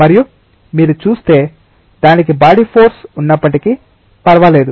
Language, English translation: Telugu, And if you see it does not matter even if it has a body force